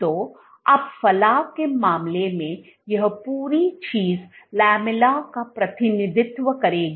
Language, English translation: Hindi, So, now, in the case of protrusion this whole thing will represent the lamella